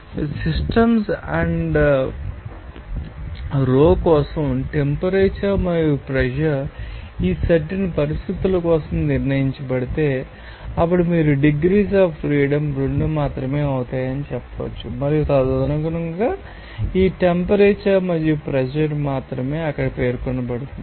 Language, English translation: Telugu, So, if we define temperature and pressure for the system and row are fixed for this specific set of conditions, then you can say that only degrees of freedom will be 2, and accordingly, this only temperature and pressure will be specified there